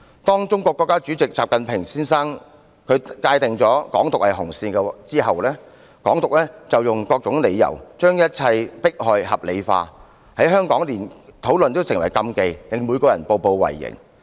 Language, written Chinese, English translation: Cantonese, 當中國國家主席習近平界定"港獨"是紅線後，港府便用各種理由，把一切迫害合理化，在香港連討論也成禁忌，令每個人步步為營。, After State President XI Jinping stated that Hong Kong independence was the red line the Hong Kong Government has used various justifications to justify the persecutions . Even discussing Hong Kong independence has become a taboo and everyone is very cautious in every step they take